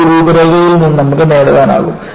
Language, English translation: Malayalam, So, that is what, you will be able to get from this outline